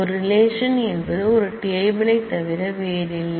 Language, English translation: Tamil, A relation is nothing but a table